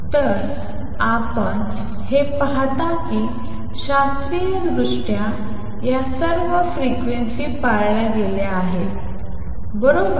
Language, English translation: Marathi, So, you see that classically since all these frequencies are observed, right